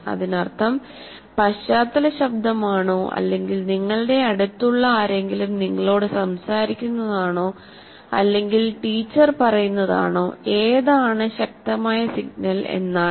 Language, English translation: Malayalam, And that means which is the most dominating signal, whether it is a background noise or somebody next to you talking to you or the what the teacher is saying